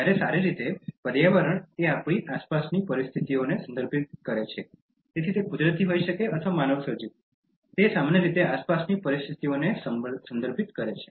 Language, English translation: Gujarati, While, well, environment refers to our surrounding conditions, so it could be natural or man made generally refers to surrounding conditions